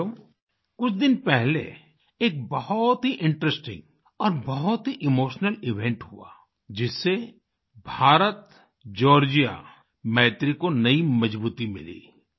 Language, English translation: Hindi, Friends, a few days back a very interesting and very emotional event occurred, which imparted new strength to IndiaGeorgia friendship